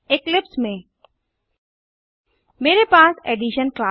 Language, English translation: Hindi, In eclipse, I have a class Addition